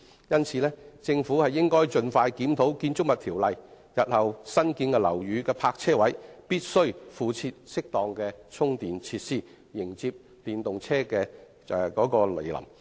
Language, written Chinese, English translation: Cantonese, 因此，政府應該盡快檢討《建築物條例》，日後新建樓宇的泊車位必須附設適當的充電設施，迎接電動車的來臨。, Hence the Government should expeditiously review the Buildings Ordinance with a view to requiring parking spaces in newly constructed buildings to be retrofitted with the appropriate charging facilities . In this way we will be prepared for the advent of electric vehicles